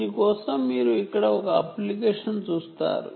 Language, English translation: Telugu, you see an application for this